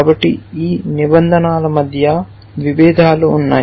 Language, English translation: Telugu, So, there is a conflict between all these rules